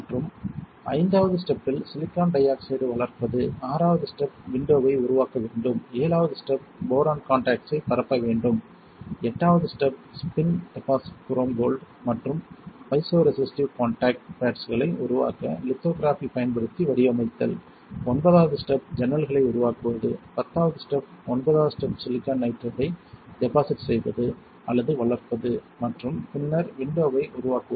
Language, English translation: Tamil, And fifth step would be grow silicon dioxide, sixth step would be to create window, seventh step would be to diffuse boron contact, eight step would be to spin deposit chrome gold and pattern it using lithography to form the piezo resistive contact pads, ninth step would be to create windows, tenth step ninth step would be to deposit or grow silicon nitride and then create windows